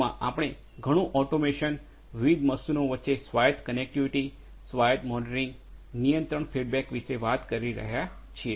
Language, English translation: Gujarati, 0, we are talking about a lot about you know automation, connectivity between these different machines autonomously, autonomous monitoring, control feedback control and so on